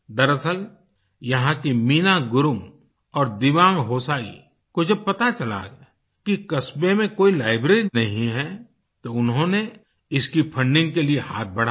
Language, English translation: Hindi, In fact, when Meena Gurung and Dewang Hosayi from this village learnt that there was no library in the area they extended a hand for its funding